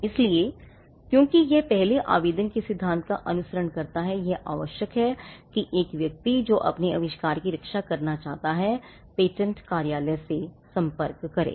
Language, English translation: Hindi, So, because it follows the first to file in principle it is necessary that a person who wants to protect his invention approaches the patent office